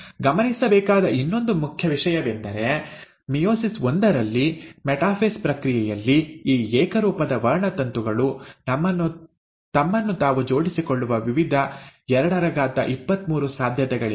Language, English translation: Kannada, The other important thing to note is that in meiosis one, during the process of metaphase, there is various, 223 possibilities by which these homologous chromosomes can arrange themselves